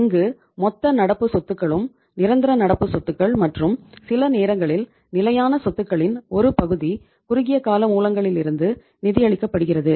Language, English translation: Tamil, In this case total of your current assets and of your permanent current asset and even sometimes part of your fixed assets are being funded from short term sources